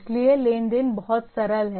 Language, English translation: Hindi, So the transaction is pretty simple